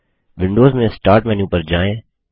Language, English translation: Hindi, In Windows go to the Start menu